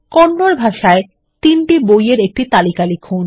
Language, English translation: Bengali, Type a list of 3 books in Kannada